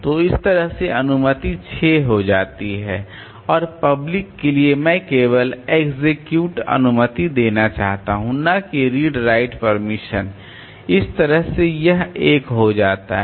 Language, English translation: Hindi, So, that way the permission becomes 6 and for the public I want to give only the execute permission not read right permission